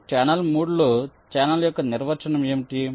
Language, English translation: Telugu, now, in channel three, what is a definition of a channel